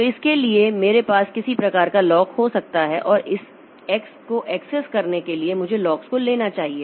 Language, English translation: Hindi, So, for that I can have some sort of lock around this and to access this X I should get a hold of the lock